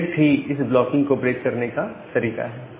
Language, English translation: Hindi, Now select is the way to break this blocking